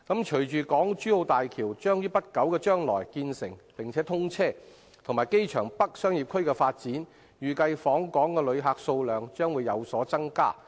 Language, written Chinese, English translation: Cantonese, 隨着港珠澳大橋將於不久將來建成並通車，加上機場北商業區的發展，預計訪港旅客數量將會有所增加。, With the completion and commissioning of the Hong Kong - Zhuhai - Macao Bridge in the near future as well as the development of the Airport North Commercial District an increase in the number of inbound visitors is anticipated